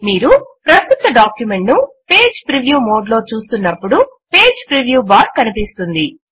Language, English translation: Telugu, Click on File and click on Page Preview The Page Preview bar appears when you view the current document in the page preview mode